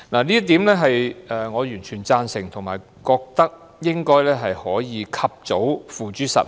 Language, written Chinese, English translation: Cantonese, 這點我完全贊同，並認為應該及早付諸實行。, I fully agree with this point and it should be implemented early